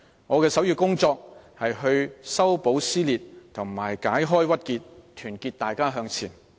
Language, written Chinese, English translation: Cantonese, 我的首要工作是修補撕裂和解開鬱結，團結大家向前。, My priority will be to heal the divide and to ease the frustration and to unite our society to move forward